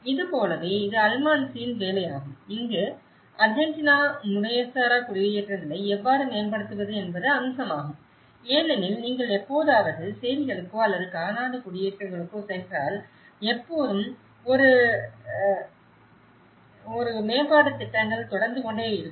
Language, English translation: Tamil, Like, this is in case of Almansi’s work where the Argentina aspect how to upgrade the informal settlements because if you ever go to slums or quarter settlements always an up gradation plans keep ongoing